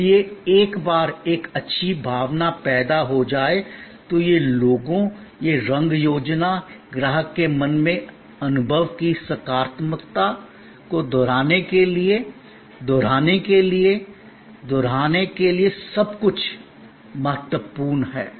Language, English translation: Hindi, So, once a good feeling is created, then this logo, this color scheme, everything is important to repeat, to repeat, to repeat in the customer's mind the positivity of the experience